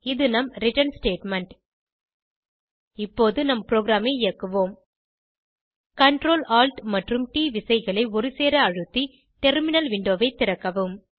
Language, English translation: Tamil, And this is our return statement Now let us execute the program Open the terminal window by pressing Ctrl, Alt and T keys simultaneously on your keyboard